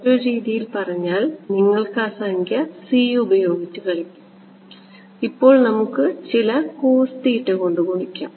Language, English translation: Malayalam, So, in some sense you can play around with that number c right we can multiply by some cos theta whatever